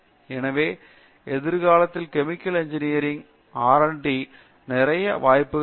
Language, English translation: Tamil, So there will be lot of scope for R and D in chemical engineering in future also